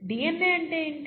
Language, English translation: Telugu, What exactly is DNA, okay